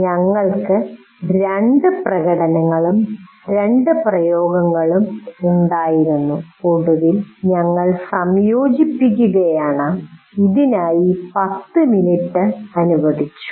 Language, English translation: Malayalam, That is we had two demonstrations and two applications and finally we are integrating and we allocated about 10 minutes